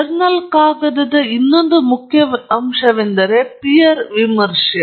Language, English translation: Kannada, The other important aspect of a journal paper is that it is peer reviewed